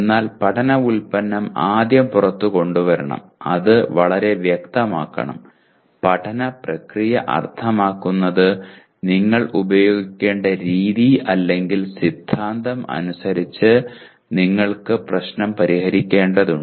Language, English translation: Malayalam, But learning product should be brought out first, should be made very clear and the learning process that means the method that you need to use or the theorem according to which you need to solve the problem